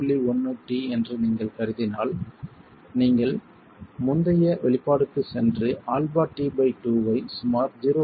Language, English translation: Tamil, 1 T, you can go back to the previous expression and write down alpha t by 2 is about 0